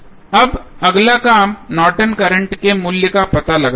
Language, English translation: Hindi, Now, next task is to find out the value of Norton's current